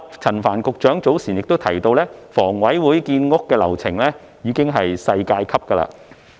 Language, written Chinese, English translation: Cantonese, 陳帆局長早前亦提到，房委會建屋的流程已經是世界級。, Earlier Secretary Frank CHAN has also described the housing construction processes of the Hong Kong Housing Authority as world class